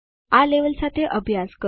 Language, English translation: Gujarati, Practice with this level